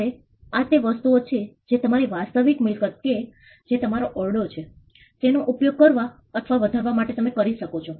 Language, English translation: Gujarati, Now, these are things which you could do to use or maximize the use of your real property which is your room